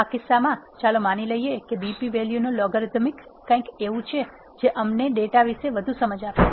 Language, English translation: Gujarati, In this case, let us assume logarithm of BP value is something which is giving us more insight about the data